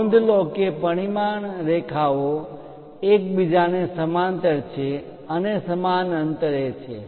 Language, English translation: Gujarati, Note that the dimension lines are parallel to each other and equally spaced